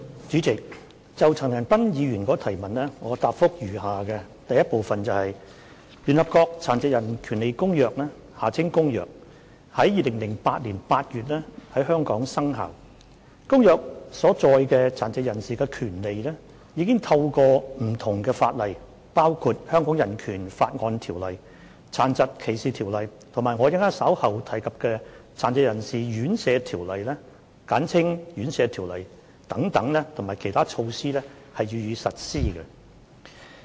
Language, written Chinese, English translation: Cantonese, 主席，就陳恒鑌議員的質詢，我現答覆如下：一聯合國《殘疾人權利公約》自2008年8月於香港生效，《公約》所載殘疾人士的權利已透過不同的法例，包括《香港人權法案條例》、《殘疾歧視條例》及我稍後提及的《殘疾人士院舍條例》等，以及其他措施予以實施。, President my reply to the question raised by Mr CHAN Han - pan is as follows 1 The United Nations Convention on the Rights of Persons with Disabilities has entered into force for Hong Kong since August 2008 . The rights of persons with disabilities as stipulated in the Convention have been implemented through various laws and other measures including the Hong Kong Bill of Rights Ordinance the Disability Discrimination Ordinance and the Residential Care Homes Ordinance which I will mention later